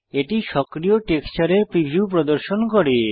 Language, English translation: Bengali, It shows the preview of the active texture